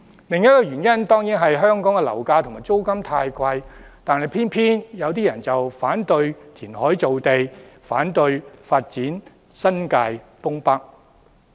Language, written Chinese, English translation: Cantonese, 另一個原因當然是香港樓價和租金太貴，但偏偏有部分人反對填海造地，反對發展新界東北。, Another reason is certainly the high property prices and rents in Hong Kong . However some people still oppose reclamation and development of North East New Territories